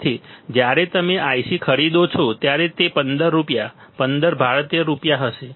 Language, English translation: Gujarati, So, when you buy a IC, it will be like 15 rupees, 15 Indian rupees right